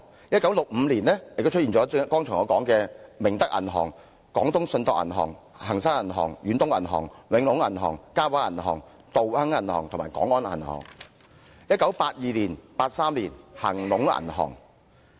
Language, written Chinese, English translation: Cantonese, 1965年，我剛才說的明德銀號、廣東信託銀行、恒生銀行、遠東銀行、永隆銀行、嘉華銀行、道亨銀行和廣安銀行也出現擠提。, In 1965 as I said just now there were runs on the Ming Tak Bank the Canton Trust Commercial Bank Hang Seng Bank Far East Bank Wing Lung Bank Ka Wah Bank Dao Heng Bank and the Kwong On Bank